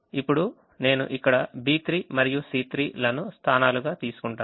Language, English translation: Telugu, now i get here b three and c three as the positions